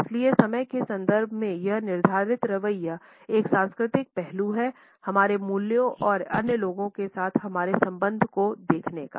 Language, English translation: Hindi, So, this laid back attitude in terms of time is a cultural aspect of looking at our values and our relationships with other people